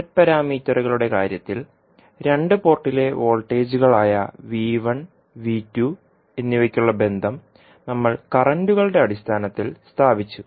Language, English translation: Malayalam, So in case of z parameters we stabilized the relationship for V1 and V2 that is the voltages at the two ports in terms of the currents